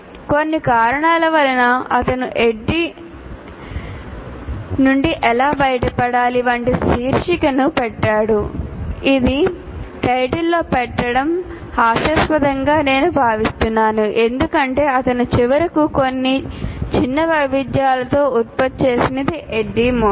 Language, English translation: Telugu, For some reason he has put the title like How to get away from Addy, which is I consider ridiculous to put in a title because what he finally produced is Adi model with some minor variants of this